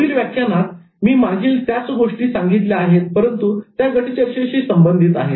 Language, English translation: Marathi, In the next lecture, I followed similar tips but in terms of group discussion